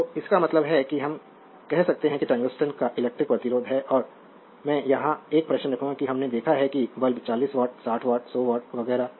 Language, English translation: Hindi, So; that means, we can say the tungsten has an electrical resistance right and I will put a question here that we have seen that your that bulb 40 watt, 60 watt, and 100 watt and so on